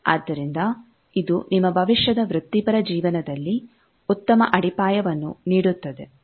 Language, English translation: Kannada, So, it will give you a good foundation in your future professional life